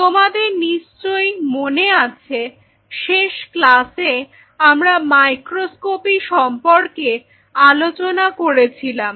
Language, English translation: Bengali, So, in the last class if you recollect we were talking about the microscopy